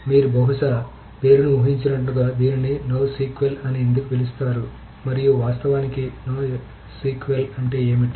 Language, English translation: Telugu, So as you can probably guess the name no SQL is that why is it called no SQL or what does no SQL mean actually